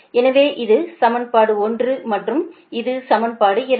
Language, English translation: Tamil, so this equation is one and this equation is two right